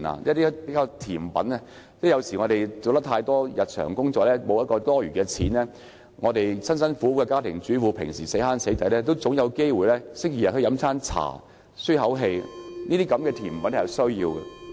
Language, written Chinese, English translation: Cantonese, 有時候，由於我們要做大量的日常工作，沒有餘錢，就像家庭主婦平常辛辛苦苦省吃儉用，也應有機會星期天上茶樓舒一口氣，所以甜品是必需的。, Sometimes since we have to perform a lot of daily work with no money to spare sweeteners are required just like housewives who have to pinch and scrape on weekdays should be given the opportunity to go to the restaurant on Sundays to take a break . Hence sweeteners are essential